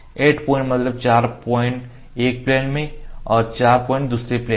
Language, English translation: Hindi, So, the 4 points in one plane 4 point in other plane were marked